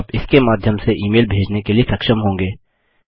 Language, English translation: Hindi, You will be able to send an email through that